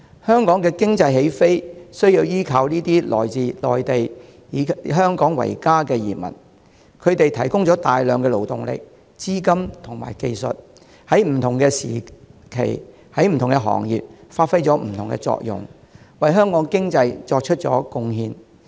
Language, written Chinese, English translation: Cantonese, 香港的經濟起飛，有賴這些來自內地、以香港為家的移民，他們提供了大量勞動力、資金及技術，在不同的時期在不同的行業發揮不同的作用，為香港的經濟作出貢獻。, The economic take - off of Hong Kong owes to these Mainland arrivals who see Hong Kong as their home . They have provided enormous labour capital and skills and have performed various functions in various trades at various times making great contributions to Hong Kongs economy